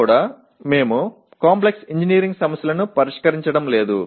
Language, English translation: Telugu, And on top of that even in PO1 we are not addressing Complex Engineering Problems